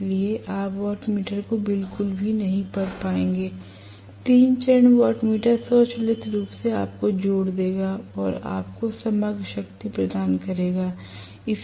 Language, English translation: Hindi, So, you will not be able to read the wattmeter at all, 3 phase wattmeter will automatically add and give you the overall power